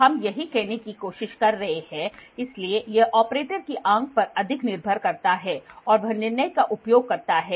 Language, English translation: Hindi, So, this is what we are trying to say, so it depends more on the operator eye and it he uses judgment